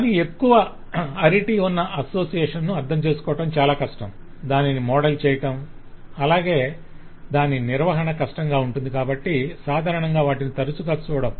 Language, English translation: Telugu, but association of higher arity is more difficult to understand, more difficult to model and maintain, so usually will not see them very frequently